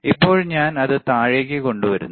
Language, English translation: Malayalam, Now I am bringing it down